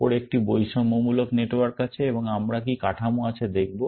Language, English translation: Bengali, On the top, is a discrimination network, and we will see what the structure is